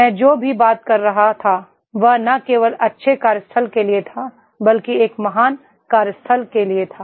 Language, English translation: Hindi, Whatever I was talking about that was not only for the good workplace but that was for a great workplace